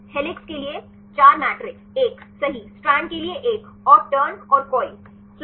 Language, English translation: Hindi, 4 matrixes right one for helix, one for strand, and turn and coil